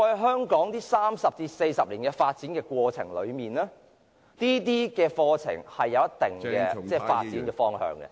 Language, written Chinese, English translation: Cantonese, 香港在過去三四十年發展過程中，這些課程也有一定的發展方向......, In the course of development of Hong Kong over the past three or four decades these programmes have also had their direction of development